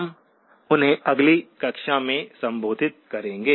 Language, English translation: Hindi, We will address them in the very next class